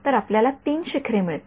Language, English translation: Marathi, So, you get 1 2 3 peaks you get